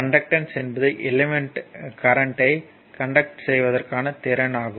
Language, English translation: Tamil, So, thus conductance is the ability of an element to conduct electric current